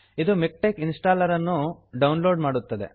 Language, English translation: Kannada, This will download the MikTeX installer